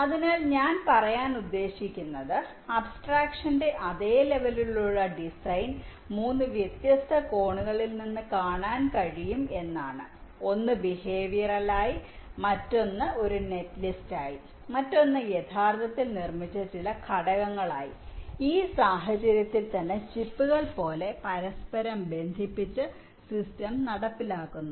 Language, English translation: Malayalam, so what i mean to say is that the design, at this same level of abstraction, can be viewed from three different angles: one as the behavior, other as a net list and the other as some components which are actually manufactured and the system is, ah miss, implemented by inter connecting them like chips, in this case